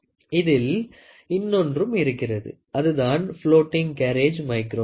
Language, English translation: Tamil, So, there is another thing which is called as floating carriage micrometer